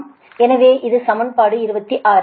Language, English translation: Tamil, so this is equation twenty six